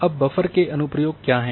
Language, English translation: Hindi, Now what are the applications of buffers